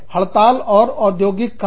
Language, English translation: Hindi, Strikes and industrial action